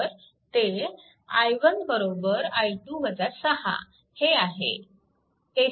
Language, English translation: Marathi, So, it will be i 1 minus i 2, right